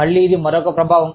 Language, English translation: Telugu, Again, this is another effect